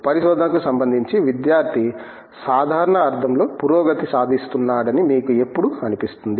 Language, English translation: Telugu, How would you feel, when do you feel you know the student is actually making progress in a general sense with respect to research